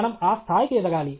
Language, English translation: Telugu, We should come to that level